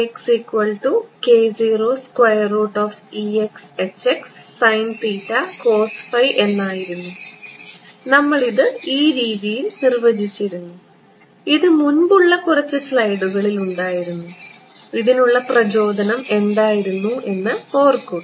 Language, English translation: Malayalam, So, what was our k x we had defined it in this way this was in the previous few slides remember this came from the what was the motive, motivation